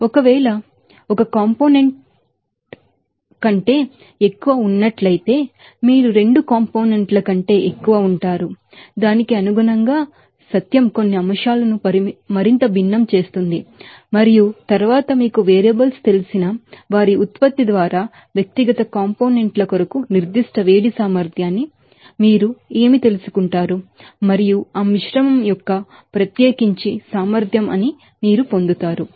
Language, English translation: Telugu, If there are more than 1 components of course, you will be there are more than 2 components then accordingly you have to you know first find out what truth does more fraction some aspects and then what the you know specific heat capacity for individual components simply by product of those you know variables and summing up you get that was specifically capacity of that mixture